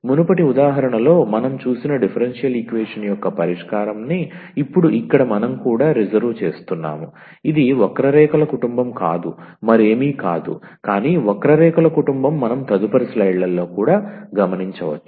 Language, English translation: Telugu, And now what we also reserve that the solution of the differential equation which we have also seen in the previous example, it is the family of curves nothing, but nothing else, but the family of curves which we will also observe in next slides